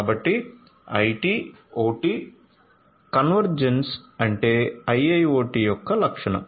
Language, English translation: Telugu, So, IT OT convergence is what characterizes IIoT